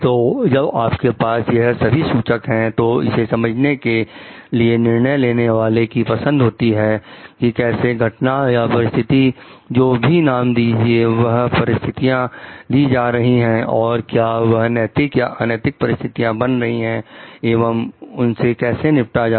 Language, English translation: Hindi, So, now when you have all these pointers to yours so, it is now the decision makers choice to understand, how the event or situation what terms the situations are taking and whether it is becoming an ethical or unethical situation and like how to deal with it